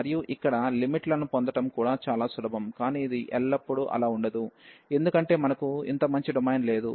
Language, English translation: Telugu, And here the getting the limits are also much easier, but this is not always the case, because we do not have a such nice domain all the time